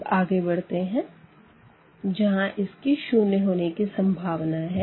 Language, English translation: Hindi, So, now moving further the next possibility will be when this is 0